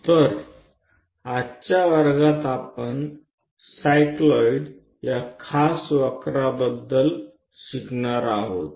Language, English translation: Marathi, So, in today's class, we are going to learn about a special curve name, cycloid